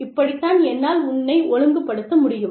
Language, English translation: Tamil, And, this is how, i can discipline you